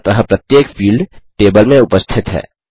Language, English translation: Hindi, So each field is present into the table